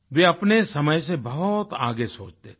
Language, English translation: Hindi, He was a thinker way ahead of his times